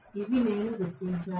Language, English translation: Telugu, These I have noted down